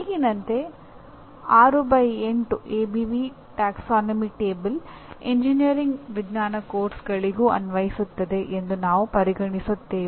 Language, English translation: Kannada, So what happens as of now we will consider 6 by 8 ABV taxonomy table is applicable to engineering science courses as well